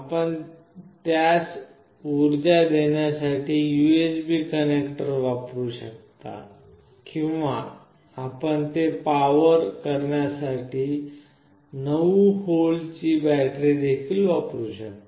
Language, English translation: Marathi, You can use the USB connector to power it, or you can also use a 9 volt battery to power it